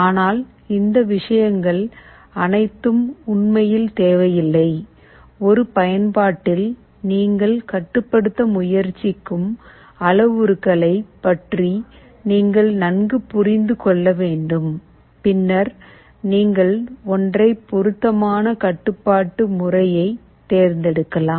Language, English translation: Tamil, But all these things are really not required, you need to understand better about the parameter you are trying to control in an application and then you can select an appropriate method of control